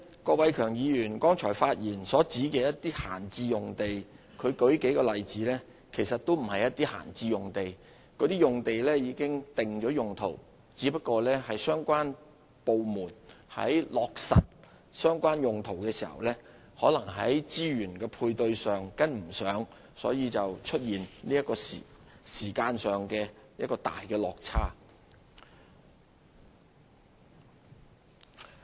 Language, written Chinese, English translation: Cantonese, 郭偉强議員在剛才發言所舉出的一些閒置用地例子，其實並不是閒置用地，該等用地已定了用途，只不過相關部門在落實其用途時，可能在資源的配合上跟不上，所以出現時間上的一大落差。, The idle land lots cited by Mr KWOK Wai - keung just now are actually not idle lots but have specified use instead . It is only that in the course of implementation the relevant departments have failed to secure the necessary resources and thereby giving rise to a serious time gap